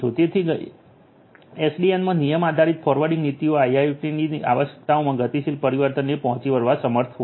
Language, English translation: Gujarati, So, rule based forwarding policies in SDN would be able to meet the dynamic change in the requirements of IIoT